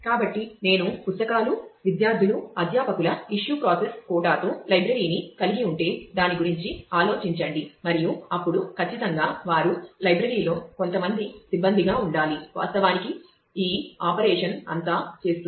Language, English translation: Telugu, So, think about it if I have the library with books students faculty issue process quota and all that then certainly they will have to be some staff of the library; that will actually do all this operation